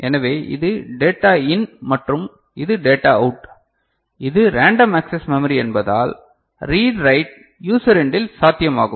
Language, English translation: Tamil, So, this is the data in and this is the data out that is as we said random access memory read write is possible at the user end